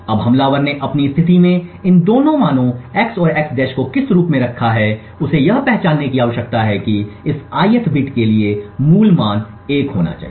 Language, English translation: Hindi, Now what the attacker has in his position these two values x and x~ form this he needs to identify that the original value for this ith bit should be 1